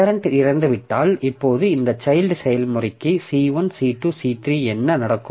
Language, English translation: Tamil, Then what happens to this children processes, C1, C2 and C3